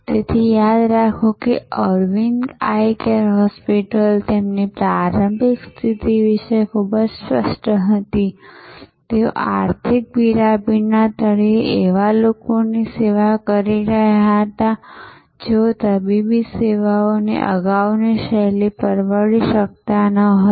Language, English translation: Gujarati, So, remember that Aravind Eye Care Hospital was very clear about their initial positioning, they were serving people at the bottom of the economic pyramid, people who could not afford the earlier style of medical services